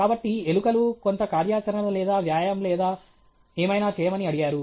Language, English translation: Telugu, So, rats were asked to do some activity or exercise or whatever